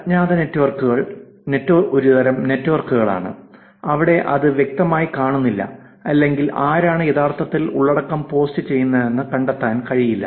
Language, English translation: Malayalam, Anonymous networks are networks, where it is not clearly visible or it is not possible to find out who is actually posting the content